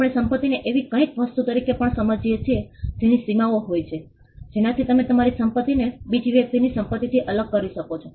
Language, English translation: Gujarati, We also understand property as something that has boundaries, which makes it possible for you to distinguish your property from another person’s property